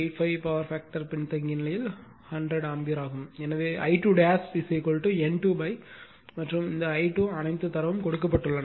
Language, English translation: Tamil, 85 power factor lagging, right therefore, I 2 dash is equal to N 2 upon and I 2 all the data are given